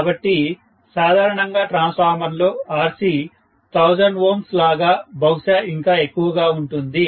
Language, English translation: Telugu, So, Rc normally in a transformer will be like 1000 ohms, maybe more, okay